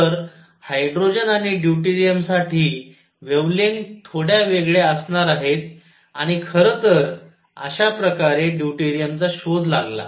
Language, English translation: Marathi, So, wavelengths for hydrogen and deuterium are going to be slightly different and in fact, that is how deuterium was discovered